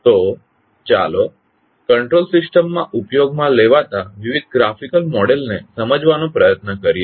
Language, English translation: Gujarati, So let us try to understand what are the various graphical models used in the control systems